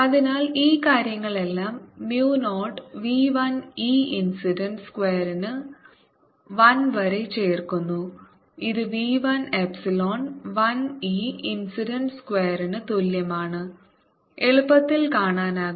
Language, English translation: Malayalam, so this whole things add up to one over mu zero v one e incident square, which is nothing but equal to v one epsilon one e incident square as zero